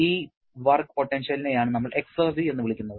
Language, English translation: Malayalam, This work potential is the one that we refer to as the exergy